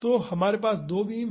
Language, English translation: Hindi, So, we have two beams